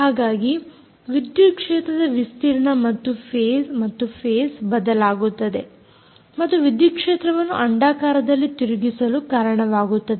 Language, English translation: Kannada, in this case, the amplitude as well as phase of the electric field change and cause the electric field to rotate in an elliptic form